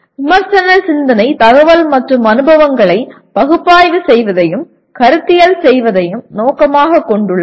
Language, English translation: Tamil, The critical thinking aims at analyzing and conceptualizing information and experiences